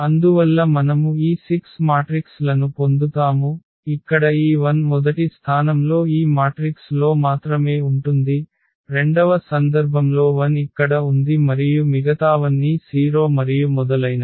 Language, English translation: Telugu, And so on we continue with this we get these 6 matrices where this 1 is sitting here at the first position only in this matrix, in the second case 1 is sitting here and all others are 0 and so on